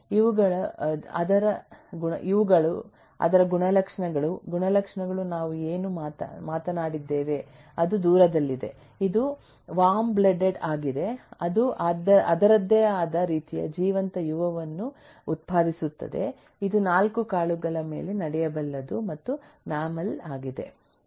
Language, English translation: Kannada, these are its properties, attributes we talked of, that is, it is far, it is warm blooded, it can produce, live young of its kind, it can walk on 4 legs and so on, is a mammal